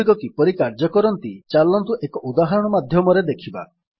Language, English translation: Odia, So let us see how they work through an example